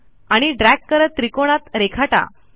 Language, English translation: Marathi, Drag it tracing the triangle